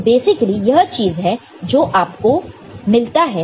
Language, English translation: Hindi, So, basically this is the thing that you can get ok